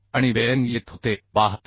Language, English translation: Marathi, 3 so and bearing was coming 72